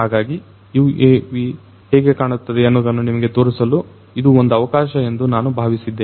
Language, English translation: Kannada, So, I thought that let me take it as an opportunity to show you a UAV how it looks like